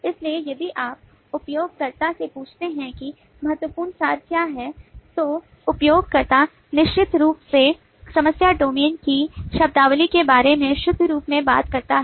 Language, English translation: Hindi, so if you ask the user is to what the key abstractions are, user certainly talks about the vocabulary of the problem domain in pure form